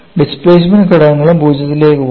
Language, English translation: Malayalam, The displacement components also go to 0